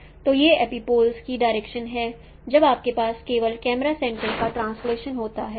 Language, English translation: Hindi, So these are the interpretations of epipoles when you have simply the translation of camera centers